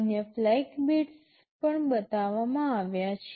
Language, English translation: Gujarati, The other flag bits are also shown